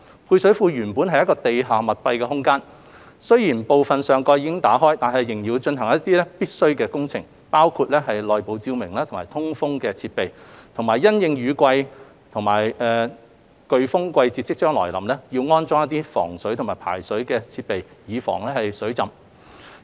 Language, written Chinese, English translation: Cantonese, 配水庫原本是地下密閉空間，雖然部分上蓋已經打開，但仍要進行一些必須的工程，包括內部照明及通風設施，以及因應雨季及颶風季節將至，安裝防水及排水設施等以防水浸。, The service reservoir was originally a confined space . Although part of the roof has been removed necessary works including the provision of internal lighting and ventilation facilities have to be carried out . With rainy and tropical cyclone season approaching waterproof and drainage facilities will be installed to prevent flooding